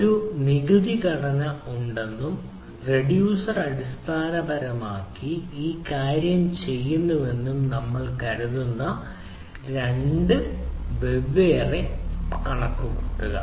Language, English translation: Malayalam, uh say we consider there is a dictionary structure and the reducer basically does this thing right